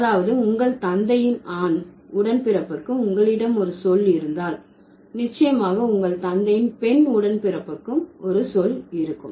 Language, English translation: Tamil, That means if you have a word for a male, for your male sibling, for the male sibling of your father, then would definitely have a word for the male sibling of your, the female sibling of your father